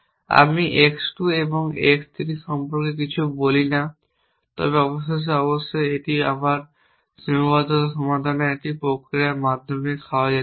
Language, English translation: Bengali, I do not say anything about x 2 and x 3 but eventually off course, this can be again elicit ate through a process of solving the constraint